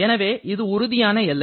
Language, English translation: Tamil, So, you are having a real boundary